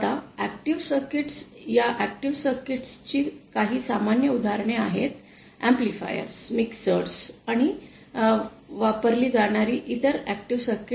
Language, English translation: Marathi, Now active circuits, some common examples of these active circuits are amplifiers, mixers and various other active circuits that are used